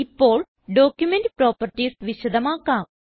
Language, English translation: Malayalam, Now I will explain about Document Properties